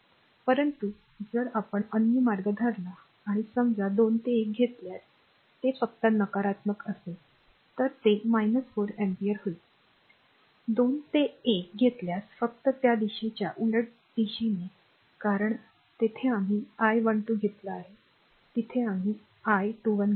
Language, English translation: Marathi, But if you take other way or suppose if you take 2 to 1 that it will just negative sine, it will be minus 4 ampere, if you take 2 to 1, just reversal of the your what you call the direction because here we have taken I 12 here we have taken I 21